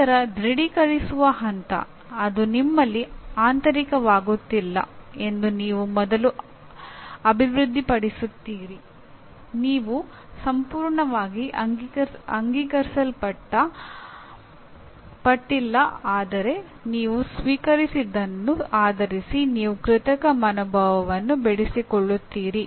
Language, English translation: Kannada, Then the other stage that comes confirming you first develop it is not internalizing in you, you are not completely accepted but based on what you have received you develop an artificial attitude